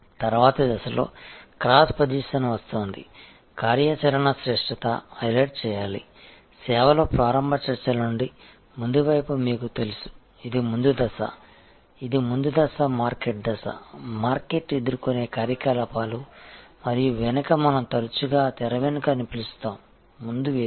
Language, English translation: Telugu, In the next stage, cross position comes operational excellence must highlight as you know right from the early discussions in service the front side, which is the front stage the market stage, market facing activities and the back, which we often called back stage, front stage